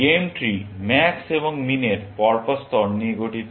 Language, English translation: Bengali, The game tree consist of alternate layers of max and min